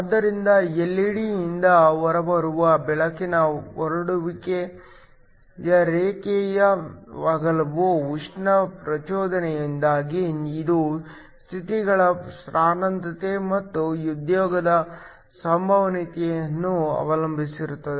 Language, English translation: Kannada, So, the line width which is the spread of the light that comes out from the LED because of thermal excitation it depends upon the density of states and the probability of occupation